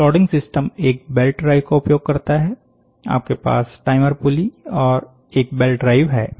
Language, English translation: Hindi, Plotting system uses a belt drive, you have a timer pulley and a belt drive